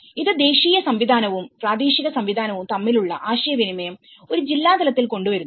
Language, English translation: Malayalam, So, it is, it brings the communication between the national system and the local system at a district level